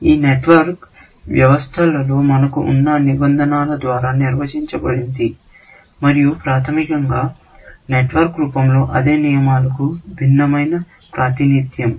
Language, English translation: Telugu, This network is defined by the rules that we have in the system, and it is basically, a different representation of the same rules in a network form